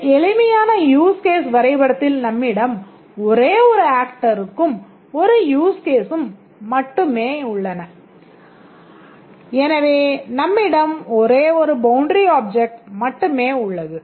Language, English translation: Tamil, In this simplest use case diagram we have only one actor and one use case and therefore we have only one boundary object